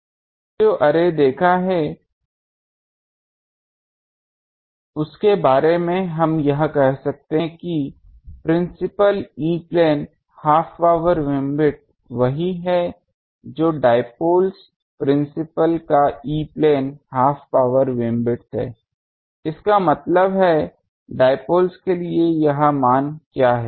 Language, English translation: Hindi, Now for the array we have shown approximately we can say that principal E plane half power beamwidth is same as the dipoles principal’s E plane half power beamwidth so; that means, what is this value for dipole